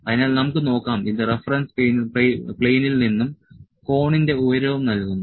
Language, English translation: Malayalam, So, let us see it is also giving the height of the cone from the reference plane